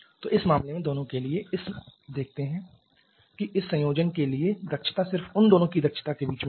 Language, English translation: Hindi, So, for both this case in this case we can see that efficiency for this combination is just in between the efficiency of either of them